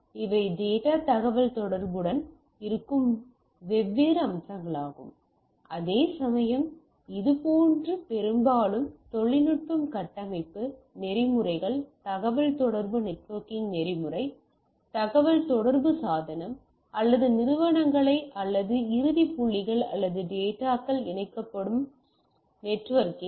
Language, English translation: Tamil, So, these are the different aspects which are there with the data communication whereas, the networking it mostly deals with technology, architecture, protocols, protocol of communication network used to inter connect communicating device or entities or end points or intermediate points per say